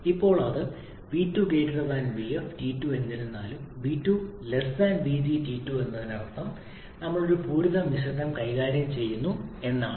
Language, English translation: Malayalam, However this video is less than vg corresponding to T2 that means we are dealing with a saturated mixture